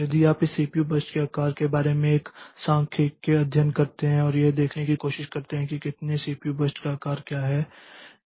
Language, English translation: Hindi, So, if you do a statistical study about the sizes of this history this CPU burst and try to see like how many CPU bursts are of what size